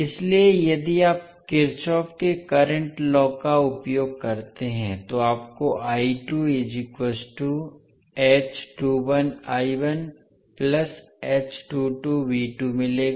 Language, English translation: Hindi, So, if you use Kirchhoff’s current law